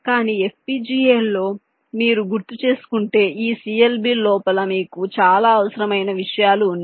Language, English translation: Telugu, but in fpga you recall, inside this clbs your have lot of unnecessary things